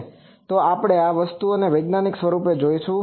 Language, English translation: Gujarati, And so, we will see this thing scientifically